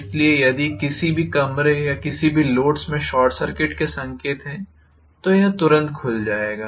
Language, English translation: Hindi, So if there is a short circuit signs in any of the rooms or any of the loads, then immediately it will open out